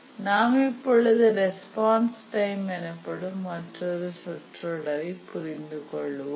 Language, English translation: Tamil, Now let's define another important terminology that we'll be using is the response time